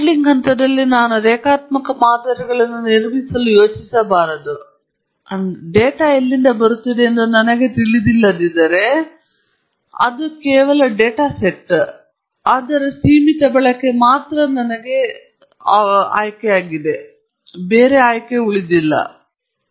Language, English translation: Kannada, Then when at the modeling stage, I should not even think of building linear models, but if I don’t know where the data is coming from, it just remains a data set and its of limited use to me, its just some kind of a toy that I am playing around with